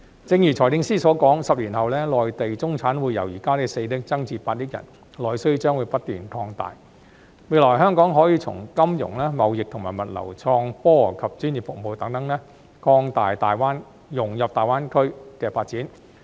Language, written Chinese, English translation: Cantonese, 正如財政司司長所說 ，10 年後內地中產會由現時的4億人增至8億人，內需將不斷擴大，未來香港可以從金融、貿易和物流、創科及專業服務等方面，融入大灣區發展。, As the Financial Secretary has said the number of middle - class people in the Mainland will increase from 400 million at present to 800 million 10 years later . As domestic demand continues to expand Hong Kong will be able to integrate into the development of GBA in the areas of financial trading and logistics innovation and technology professional services and so on